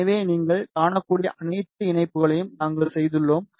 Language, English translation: Tamil, So, we have made all the connections you can see